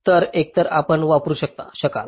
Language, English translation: Marathi, so either one you can use